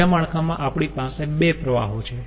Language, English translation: Gujarati, in the second network we are having two streams